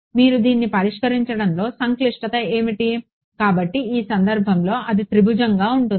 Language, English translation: Telugu, What is the complexity of solving this, so in this case it happens to be tridiagonal